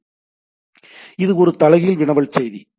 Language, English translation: Tamil, So, it is a reverse query message